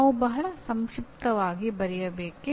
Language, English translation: Kannada, Should we write very briefly